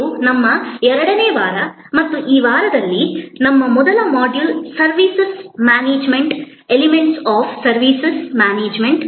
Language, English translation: Kannada, This is our week number 2 and our first module in this week is about Services Management, the Elements of Services Management